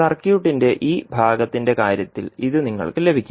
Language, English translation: Malayalam, So this you will get in case of this part of the circuit